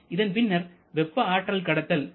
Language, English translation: Tamil, Then there is a direct heat loss of 3